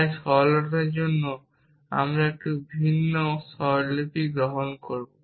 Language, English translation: Bengali, So, for the sake of simplicity we will adopt slightly different notation